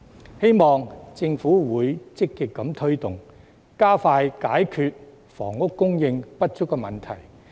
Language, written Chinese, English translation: Cantonese, 我希望政府會積極推動，加快解決房屋供應不足的問題。, I hope the Government can actively take forward all such tasks so as to resolve the problem of insufficient housing supply more expeditiously